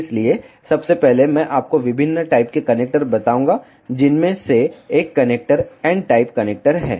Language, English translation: Hindi, firstly I will tell you the various type of connectors one of the connector is n type connector